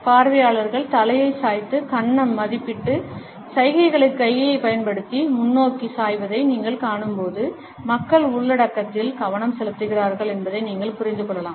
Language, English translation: Tamil, When you see an audience tilting their heads and leaning forward using hand to chin evaluation gestures, you can understand that people are paying attention to the content